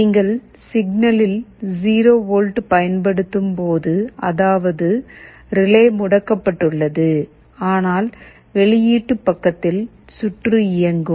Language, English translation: Tamil, When you are applying a 0 volt on the signal; that means, relay is OFF, but on the output side the circuit will be on